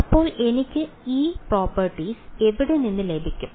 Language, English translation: Malayalam, So, where do I get these properties from